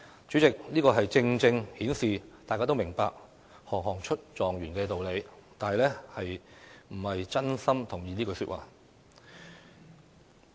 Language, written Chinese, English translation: Cantonese, 主席，這正正顯示大家都明白"行行出狀元"的道理，但並非真心同意這句話。, President this just goes to show that while a lot of people understand the message behind the saying every trade has its master they do not wholeheartedly agree with it